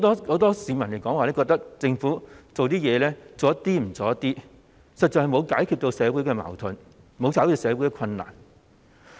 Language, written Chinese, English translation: Cantonese, 很多市民也認為政府做事不夠全面，實在沒有解決社會的矛盾及困難。, Many people have also opined that the effort made by the Government is not comprehensive enough and is actually unable to address the conflicts and hardship in society